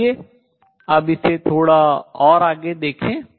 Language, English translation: Hindi, Let us now explore this a little further